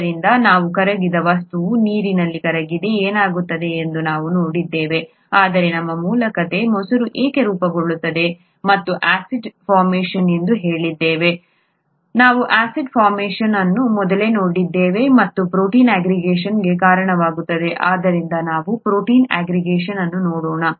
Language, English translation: Kannada, So we looked at what happens when a substance dissolved in, is gets dissolved in water, but our original story was why curd forms and we said acid formation, we saw acid formation earlier, and which causes protein aggregation, so let us look at protein aggregation